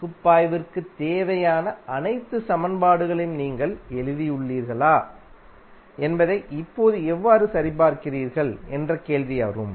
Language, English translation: Tamil, Now the question would come how you will verify whether you have written the all the equations which are required for the analysis